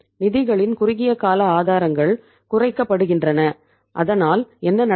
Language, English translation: Tamil, Short term sources of the funds are being reduced so what will happen